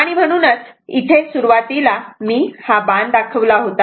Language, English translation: Marathi, And throughout this little bit initially I have made an arrow here